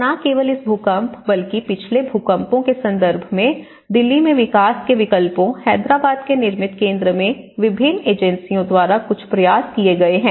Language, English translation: Hindi, And not only in terms of this earthquake but also the previous past earthquakes, there has been some efforts by different agencies by development alternatives in Delhi, Nirmithi Kendraís in Hyderabad